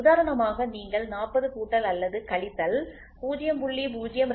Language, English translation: Tamil, For example, if you try to take 40 plus or minus 0